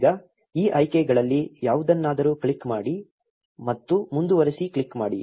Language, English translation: Kannada, Now, click something else in these options and click on continue